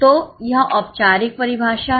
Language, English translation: Hindi, So, this is the formal definition